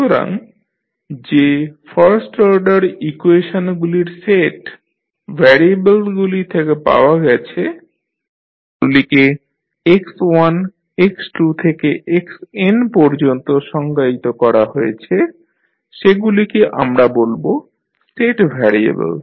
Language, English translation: Bengali, So, the set of the first order equation which we get in that the variables which you have define like x1, x2 to xn we call them as state variable